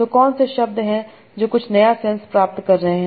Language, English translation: Hindi, And so what are the words that are getting some new sense